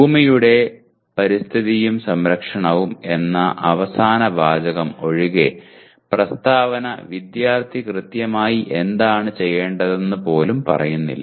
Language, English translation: Malayalam, Except the last phrase, earth environment and protection, the statement does not even say what exactly the student is supposed to be doing